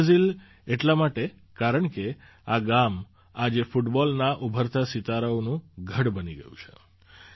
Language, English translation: Gujarati, 'Mini Brazil', since, today this village has become a stronghold of the rising stars of football